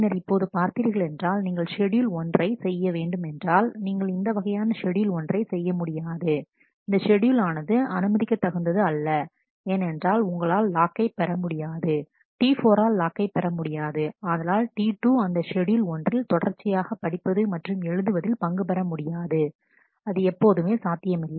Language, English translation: Tamil, And now naturally if you look into this, if you wanted to do a schedule 1 you cannot do this kind of a schedule 1 that schedule will not be permissible because, you will not be able to get the locks, T 4 will not be able to get the locks that T 2 could get in the sequence of reads and writes in schedule 1 is no longer possible